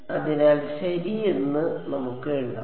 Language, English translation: Malayalam, So, let us actually write that down ok